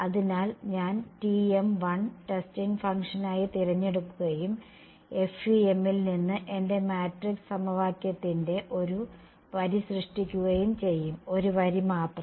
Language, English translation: Malayalam, So, I am going to choose T 1 as testing function and generate one row of my matrix equation from FEM only one row ok